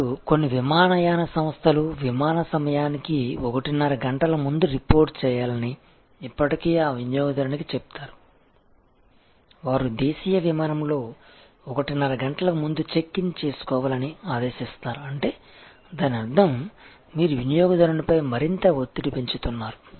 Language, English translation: Telugu, Now, if some airlines starting existing that customer as to report 1 and a half hours before the flight time are checking before 1 and half hours before on a domestic flight; that means, you are putting some more pressure in the customer